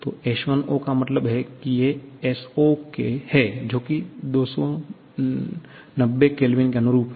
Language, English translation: Hindi, So, S0 here S10 means S0 corresponding to that 290 Kelvin